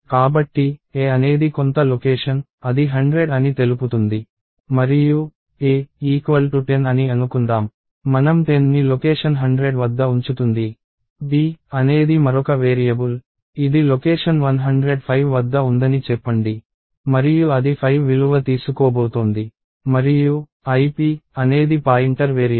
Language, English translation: Telugu, So, a is some location, let us assume that it is 100 and ‘a’ equals 10, we will put 10 at location 100, ‘b’ is a another variable let us say this is at location 105 and it is going to take a value 5 and ‘ip’ is a pointer variable